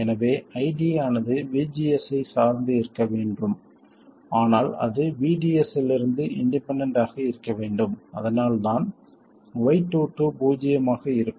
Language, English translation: Tamil, So, ID must depend on VGS but it must be independent of VDS, that is what is the meaning of Y22 being 0